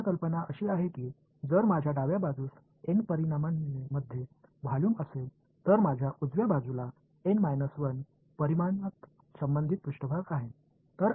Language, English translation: Marathi, The main idea is that if I have a volume in N dimensions on the left hand side, I have a the corresponding surface in N 1 dimension on the right hand side